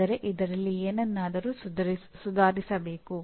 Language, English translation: Kannada, That means there is something that needs to be improved